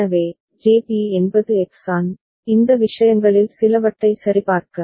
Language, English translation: Tamil, So, JB is X An, just to verify some of these things